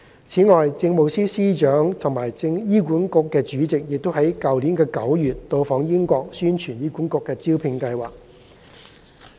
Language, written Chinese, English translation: Cantonese, 此外，政務司司長及醫管局主席於去年9月到訪英國宣傳醫管局的招聘計劃。, The Chief Secretary for Administration and HA Chairman visited the United Kingdom in September last year to promote HAs recruitment scheme